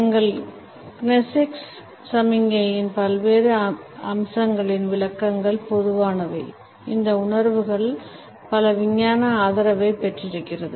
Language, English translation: Tamil, The interpretations of various aspects of our kinesics signals are rather generalized even though many of these perceptions have got a scientific backing down